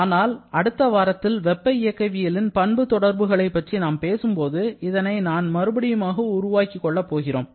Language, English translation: Tamil, You may have already used this relation but in next week when we talk about the thermodynamic property relations, this one I shall be developing again